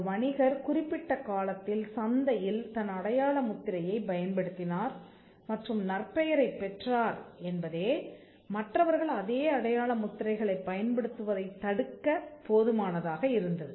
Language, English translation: Tamil, The fact that the trader used it in the market over a period of time and gained reputation was enough to stop others from using similar marks